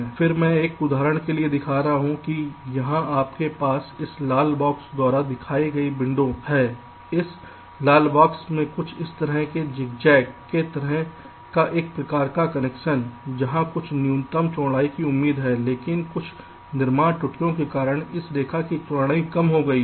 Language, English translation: Hindi, this red box has a something like this say: ah, zigzag kind of a connection where some minimum width is expected, but due to some fabrication error, the width of this line has been reduced